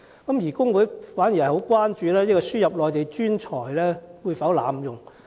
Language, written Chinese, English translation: Cantonese, 然而，工會最關注的是輸入計劃會否被濫用？, But the labour unions are most concerned about whether ASMTP may give rise to abuse